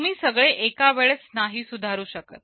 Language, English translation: Marathi, You cannot improve everything at once